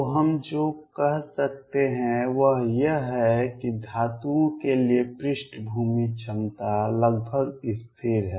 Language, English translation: Hindi, So, what we can say is that the background potential is nearly a constant for the metals